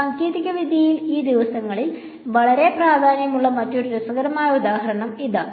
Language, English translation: Malayalam, Then here is another interesting example which in technology these days is becoming very important